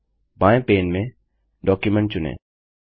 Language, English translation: Hindi, In the left pane, select Document